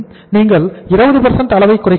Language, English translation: Tamil, Because you are reducing the level of 20%